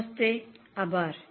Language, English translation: Gujarati, Namaste, thank you